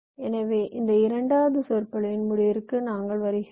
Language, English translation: Tamil, ok, so i think with this way we come to the end of this second lecture